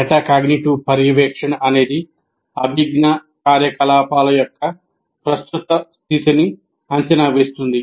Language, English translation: Telugu, A metacognitive monitoring is defined as assessing the current state of cognitive activity